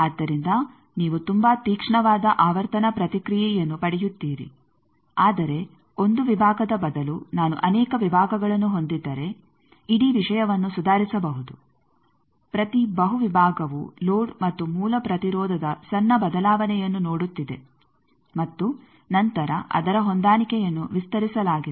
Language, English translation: Kannada, So, you will get a very sharp frequency response, but instead of one section if I have multiple sections then the whole thing can be improved that each multiple section is seeing a smaller change of load and source impedance and then its match will be broadened